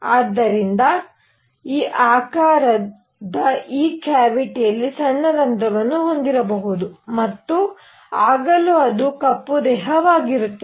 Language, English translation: Kannada, So, I could have this cavity of this shape have a small hole here and even then it will be a black body